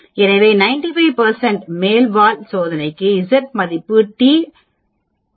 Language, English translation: Tamil, So for a 95 percent upper tailed test the z value or t value will be 1